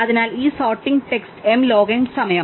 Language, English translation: Malayalam, So, this sorting takes m log m time